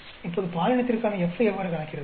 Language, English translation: Tamil, Now, how do you calculate F for gender